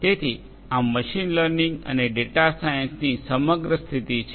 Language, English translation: Gujarati, So, this is the overall positioning of machine learning and data science